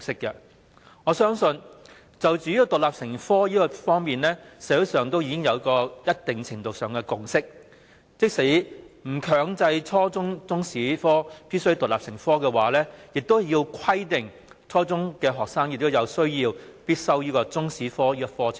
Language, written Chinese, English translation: Cantonese, 就中史獨立成科而言，社會上已有一定程度的共識，即使不強制初中中史必須獨立成科，亦應規定初中學生必須修習中史科。, As regards stipulating Chinese History as a compulsory subject a consensus has to a certain extent already been fostered across the community . Even if Chinese History is not mandatorily stipulated as an independent subject at junior secondary level the subject should be made compulsory for junior secondary students